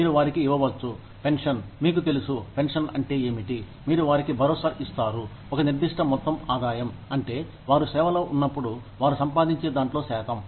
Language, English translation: Telugu, You know, pension is what, you assure them, a certain amount of income, which is the percentage of, what they used to earn, when they were still in service